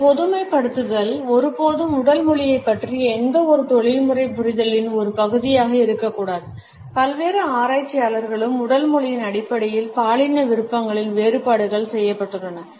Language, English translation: Tamil, These generalizations should never be a part of any professional understanding of body language there have been various researchers also in which differences in gender preferences in terms of body language have been committed on